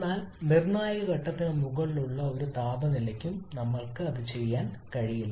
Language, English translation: Malayalam, But that we cannot do for any temperature level above the critical point